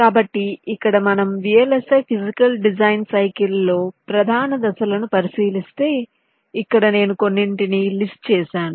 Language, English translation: Telugu, so here, if you look at the main steps in the vlsi physical design cycle, so here i have listed some